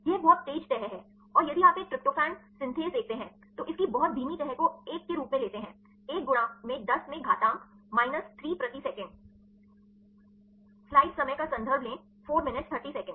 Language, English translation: Hindi, This is very fast folding and if you see a tryptophan synthase,t its very slow folding it takes as 1; 1 into 10 to the power minus 3 per second